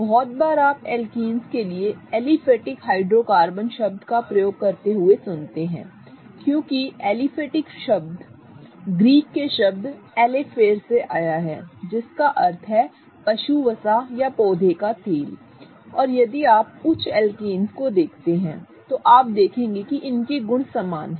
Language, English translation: Hindi, Very often you will hear that term called as aliphatic hydrocarbon for alkanes because aliphatic comes from the Greek word alifur meaning animal fat or plant oils and if you see the higher alkanes you will see that their properties are very similar to that of animal fats or plant oils